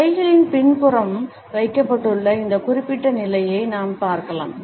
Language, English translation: Tamil, We can look at this particular position where hands have been held behind the back